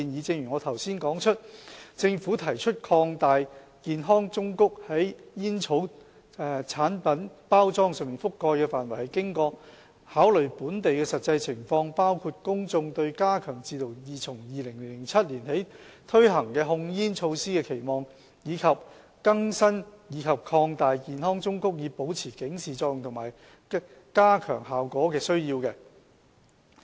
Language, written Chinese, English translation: Cantonese, 正如我之前指出，政府提出擴大健康忠告在煙草產品包裝上覆蓋的範圍，是經過考慮本地的實際情況，包括公眾對加強自2007年起推行的控煙措施的期望，以及更新和擴大健康忠告以保持警示作用及加強效果的需要。, As pointed out by me earlier the Governments proposal to enlarge the coverage of the health warnings on tobacco product packaging has taken into account the actual local situation including public expectation of a more stringent tobacco control measure first introduced in 2007 and the need to update and enlarge the health warning images with a view to sustaining and enhancing their impact